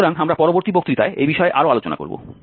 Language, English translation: Bengali, So we will discuss this bit more in the next lecture